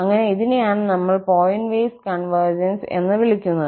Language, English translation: Malayalam, So, that is what we call the pointwise convergence